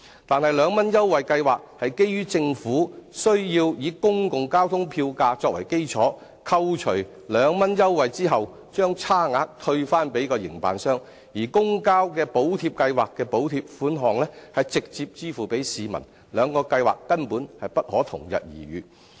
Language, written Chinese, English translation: Cantonese, 但是，兩元優惠計劃是基於政府須以公共交通的票價作為基礎，扣除兩元優惠後把差額退回營辦商，而補貼計劃的補貼款項是直接支付給市民，兩項計劃根本不能同日而語。, By the 2 Fare Scheme for the Elderly it is based on the fares of public transport that the Government makes reimbursement to the operators after deducting 2 per trip but by the Subsidy Scheme the amount of subsidy is directly paid to the citizens . Hence these two schemes cannot be mentioned in the same breath